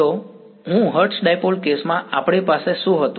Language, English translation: Gujarati, So, I what did we have in the hertz dipole case